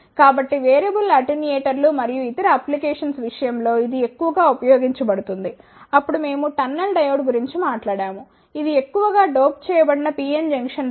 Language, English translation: Telugu, So, it is highly used in case of variable attenuators and other applications, then we talked about the tunnel diode which is highly doped PN junction diode